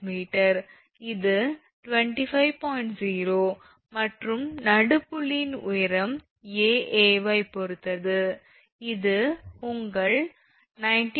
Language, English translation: Tamil, 0 and height of the midpoint P with respect to A then it will be your 19